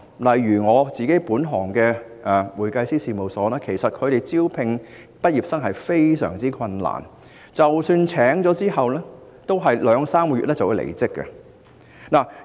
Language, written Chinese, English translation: Cantonese, 例如我本行的會計師事務所，在招聘畢業生時十分困難，即使聘請到人手，他們往往也在兩三個月後離職。, In my sector for instance it is very difficult for accountants firms to recruit graduates and even if they can the new recruits will often quit after working for a couple of months